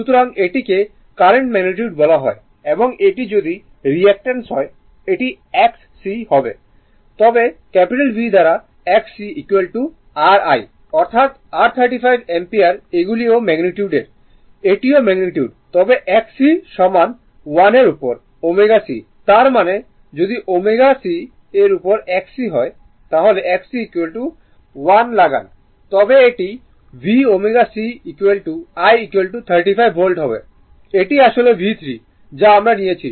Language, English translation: Bengali, So, then this is that your what you call the current magnitude and this if this if it is reactance is x c , right then V by , x c , is equal to your I , that is your 35 , ampere these are magnitude this is also magnitude , this is also magnitude, but x c is equal to , 1 upon Omega c right; that means, if you put x c is equal to 1 upon Omega c it will be V Omega c , is equal to I , is equal to 35 this Voltage , this is actually, it is V 3 we have taken